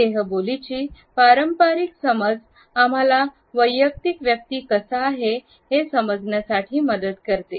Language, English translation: Marathi, The conventional understanding of body language used to provide us a personalization